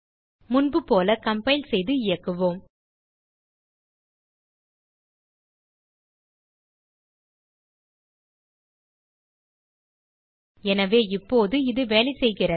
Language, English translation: Tamil, Compile and execute as before So it is working now